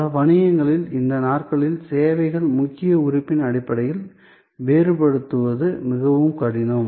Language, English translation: Tamil, So, these days in many business is it is become very difficult to distinguish the service in terms of the core element